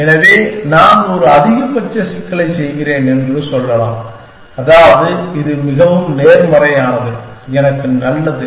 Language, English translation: Tamil, So, let us say I am doing a maximization problem which means, the more positive this is, the better for me